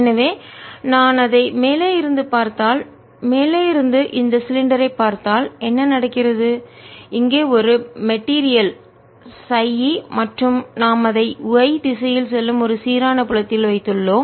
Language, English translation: Tamil, so if i look at it from the top, if i look at this cylinder from the top, what is happening is here is a material, chi e, and we have put it in a uniform field going in the y direction